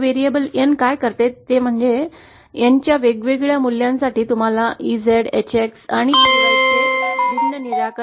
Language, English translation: Marathi, What this variable N does is, for different values of N you get different solutions of EZ, HX and EY